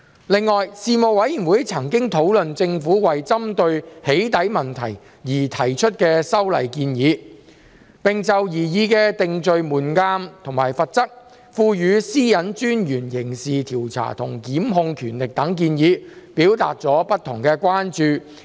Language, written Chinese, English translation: Cantonese, 另外，事務委員會曾討論政府為針對"起底"問題而提出的修例建議，並就擬議的定罪門檻和罰則、賦予私隱專員刑事調查和檢控權力等建議，表達了不同的關注。, Separately the Panel discussed the Governments proposed legislative amendments with a view to addressing the problem of doxxing and expressed various concerns about the proposed threshold of conviction and penalties as well as the proposal to confer criminal investigation and prosecution powers on the Privacy Commissioner for Personal Data